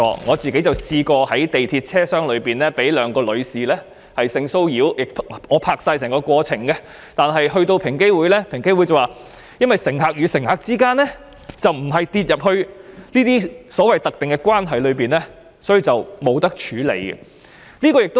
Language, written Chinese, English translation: Cantonese, 我曾試過在地鐵車廂內被兩名女士性騷擾，雖然我已拍攝整個過程，但平機會指由於乘客與乘客之間的關係並不屬於所謂的"特定關係"，所以無法處理。, I was once sexually harassed by two women in an MTR train compartment and although I had documented the entire process EOC replied that the case could not be dealt with as the so - called specified relationship did not apply to passengers